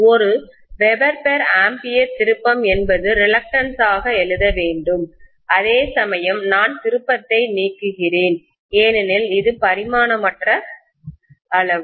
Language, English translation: Tamil, Ampere turn per weber I should write as the reluctance whereas I am removing the turn because it is a dimensionless quantity